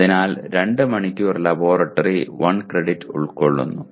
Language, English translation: Malayalam, So 2 hours of laboratory constitutes 1 credit